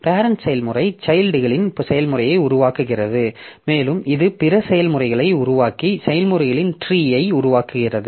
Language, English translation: Tamil, So, parent process creates children processes and which in turn create other processes forming a tree of the process